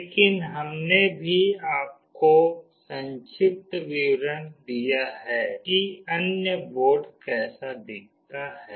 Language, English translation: Hindi, But we have also given you an overview of how other board looks like